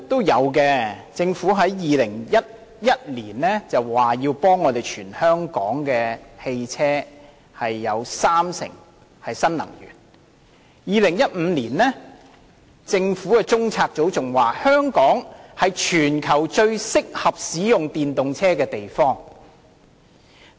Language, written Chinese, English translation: Cantonese, 有的，在2011年，政府表示要將全香港三成的汽車更換為使用新能源的車輛；在2015年，政府的中央政策組更表示，香港是全球最適合使用電動車的地方。, Yes in 2011 the Government said that 30 % of the vehicles in Hong Kong would switch to new energy; in 2015 the Central Policy Unit of the Government said that Hong Kong was the most suitable place for using EVs in the world